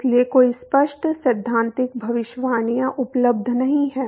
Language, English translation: Hindi, So, there are no clean theoretical predictions which is available